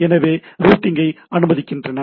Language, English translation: Tamil, So, it allows routing on the thing